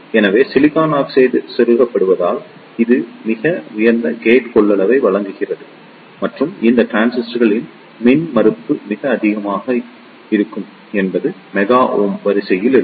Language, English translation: Tamil, So, due to the insertion of silicon oxide, it provides very high gate capacitance and the impedance of these transistors will be very high maybe up to of the order of mega ohm